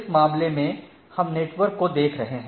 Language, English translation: Hindi, So, in this case we are looking at the network port